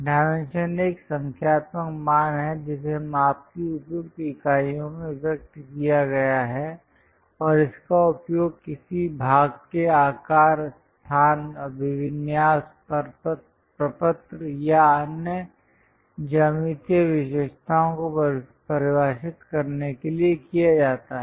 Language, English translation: Hindi, A dimension is a numerical value expressed in appropriate units of measurement and used to define the size location, orientation, form or other geometric characteristics of a part